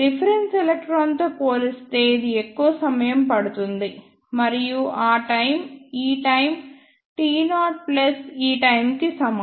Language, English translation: Telugu, And this will take more time as compared to the reference electron, and that time is equal to this time t naught plus this time